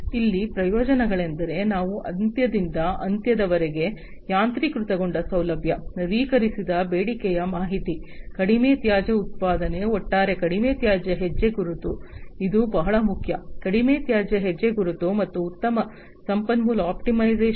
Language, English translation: Kannada, So, here the benefits are that we are going to have end to end automation facility, updated demand information, low waste generation, low waste footprint overall, this is very important low waste footprint, and better resource optimization